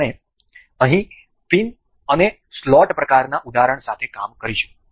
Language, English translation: Gujarati, We will work here with pin and slot kind of example